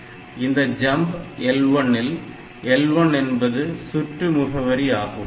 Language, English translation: Tamil, So, we can say SJMP, SJMP L 1 where L 1 is this address